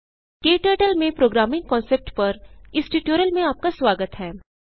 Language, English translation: Hindi, Welcome to this tutorial on Programming concepts in KTurtle